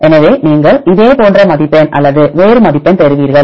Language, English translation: Tamil, So, you will get this similar score or a different score